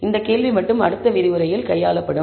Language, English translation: Tamil, This question alone will be handled in the next lecture